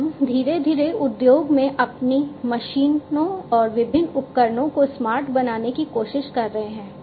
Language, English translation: Hindi, Plus, we are gradually trying to make our machines and different devices in the industry smarter